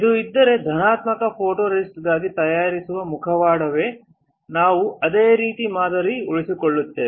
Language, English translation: Kannada, If this is the mask here which is shown for the positive photoresist we will retain the same pattern